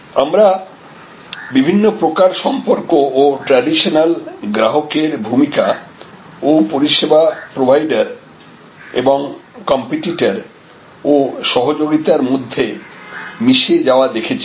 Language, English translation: Bengali, And as a result we are also seeing different kinds of relationships and the diffusion among the traditional roles of customers and service provider’s competitors and collaborators